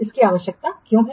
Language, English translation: Hindi, What is the purpose